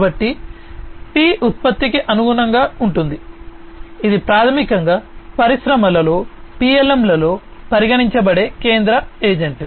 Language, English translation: Telugu, So, P corresponds to product which is basically the central agent of consideration in PLM in the industries